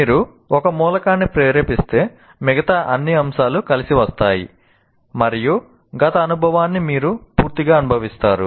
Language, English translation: Telugu, So, anything that you trigger, all the other elements will come together and that is where you feel that the past experience completely